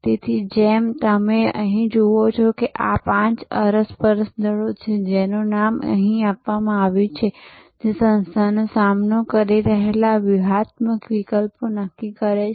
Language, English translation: Gujarati, So, as you see here there are five interactive forces which are named here, which determine the strategic alternatives facing an organization